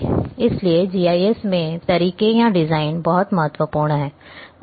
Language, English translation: Hindi, So, methods or designs are very, very important in GIS